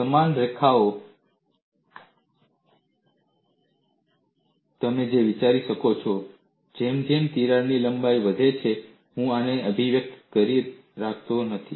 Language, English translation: Gujarati, On similar lines, what you can also think of is, as the length of the crack increases, I cannot have this as the expression